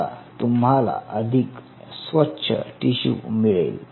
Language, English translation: Marathi, ok, so you have a much more cleaner tissue